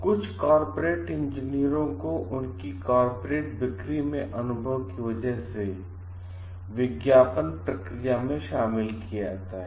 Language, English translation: Hindi, Some in some corporate engineers are involved in advertising because of their experiences in corporate sales